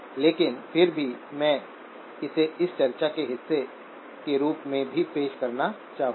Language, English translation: Hindi, But nevertheless, I would like to introduce it as part of this discussion as well